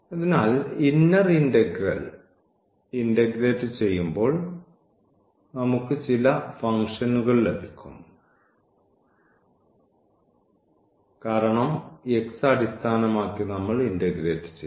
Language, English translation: Malayalam, So, as a result when we integrate the inner one we will get some function because, over x we have integrated